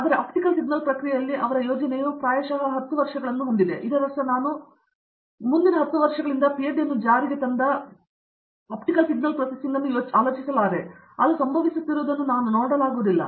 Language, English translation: Kannada, Whereas, his project was on optical signal process, it has probably 10 years into, I mean I cannot think of an optical signal processor which he had implemented in his PhD getting implemented in the industry for next 10 years, I cannot see that happening